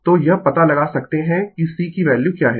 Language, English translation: Hindi, So, you can kind out what is the value of C right